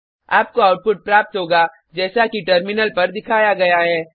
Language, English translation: Hindi, You will get the output as displayed on the terminal